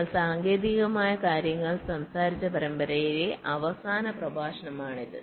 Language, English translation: Malayalam, this is actually the last lecture of the series where we talked technical things